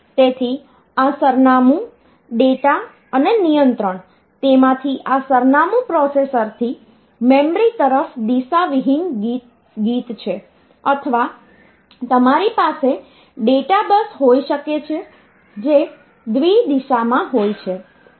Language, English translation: Gujarati, So, this address data and control out of that this address is unidirectional from the processor towards the memory or you can have the data bus which is bi directional